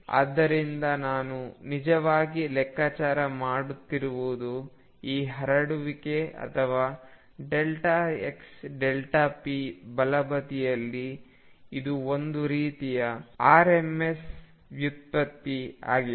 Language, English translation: Kannada, So, what I am really actually calculating is this spread or delta x delta p on the right hand side this is kind of rms deviation